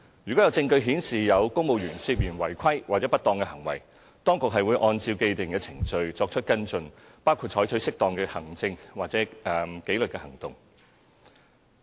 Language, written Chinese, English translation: Cantonese, 如有證據顯示有公務員涉嫌違規或不當行為，當局會按照既定程序作出跟進，包括採取適當的行政或紀律行動。, If there is evidence that a civil servant has misconducted himself appropriate action including administrative or disciplinary action will be taken against him in accordance with the established procedures